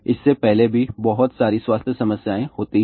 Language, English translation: Hindi, Lot of health problems happen before that